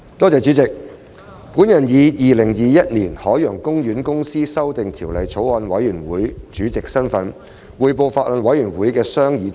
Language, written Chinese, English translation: Cantonese, 主席，我以《2021年海洋公園公司條例草案》委員會主席的身份，匯報法案委員會的商議重點。, President in my capacity as the Chairman of the Bills Committee on Ocean Park Corporation Amendment Bill 2021 I now report on the main deliberations of the Bills Committee